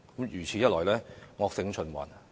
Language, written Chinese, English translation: Cantonese, 如此一來，惡性循環。, This will only create a vicious cycle